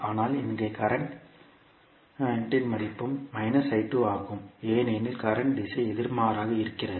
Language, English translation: Tamil, But here the value of current is also minus of I2 because the direction of current is opposite